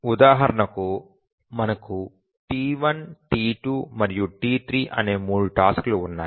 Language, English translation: Telugu, We have three tasks, T1, T2 and T3